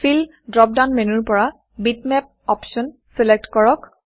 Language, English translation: Assamese, From the Fill drop down menu, select the option Bitmap